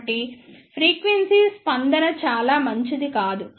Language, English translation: Telugu, So, the frequency response is not very good